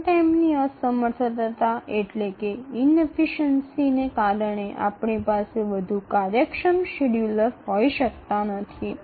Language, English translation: Gujarati, Run time inefficiency, it is a bad we can have more efficient schedulers